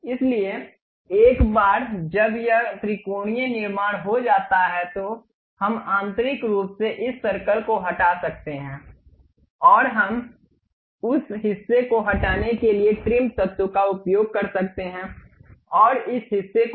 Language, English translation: Hindi, So, once it is done this triangular construction, we can internally remove this circle and we can use trim entities to remove that portion and this portion also